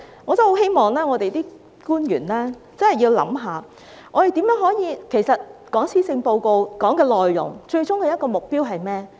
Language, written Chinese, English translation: Cantonese, 我很希望官員真的要思考一下，我們討論施政報告內容的最終目標是甚麼？, I very much hope that the officials will really do some thinking . What is the ultimate aim of our discussion on the Policy Address?